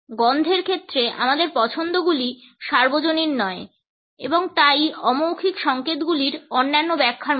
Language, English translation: Bengali, Our preferences in terms of smell are not universal and therefore, similar to other interpretations of non verbal codes